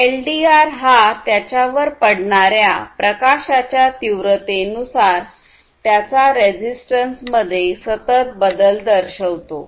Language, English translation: Marathi, A LDR shows continuous variation in its resistance as a function of intensity of light falling on it